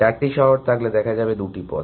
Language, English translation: Bengali, If there are four cities then you can see there are two paths